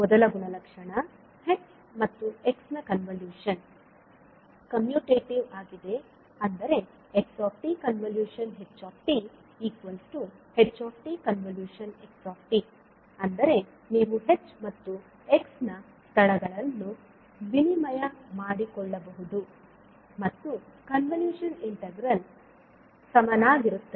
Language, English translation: Kannada, So first property is convolution of h and x is commutative means you can exchange the locations of h and x and the convolution integral will hold